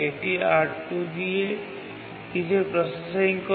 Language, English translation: Bengali, It does some processing with R2